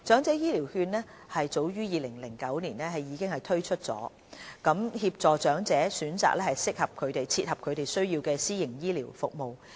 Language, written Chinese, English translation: Cantonese, 政府早於2009年已經推出長者醫療券計劃，協助長者選擇切合他們需要的私營醫療服務。, The Government launched the Elderly Health Care Voucher Scheme as early as in 2009 to enable the elderly people to choose private health care services that best suit their needs